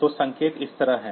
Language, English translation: Hindi, So, the signal is like this